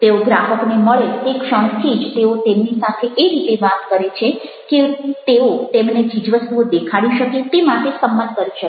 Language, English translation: Gujarati, the moment they meet the customer, they talk in such a way that they persuade them to show the things and also they persuade to buy certain things